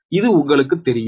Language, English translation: Tamil, this you know, right